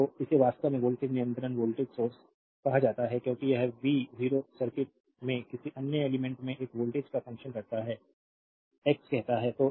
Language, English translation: Hindi, So, this is actually called voltage controlled voltage source, because this v 0 is function of this voltage across some other element in the circuit say x